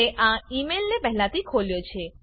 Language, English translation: Gujarati, I have already opened this email